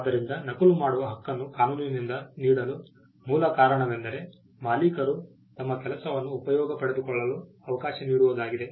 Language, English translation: Kannada, So, the reason fundamental reason why the right to copy is granted by the law is to allow the owners to exploit their work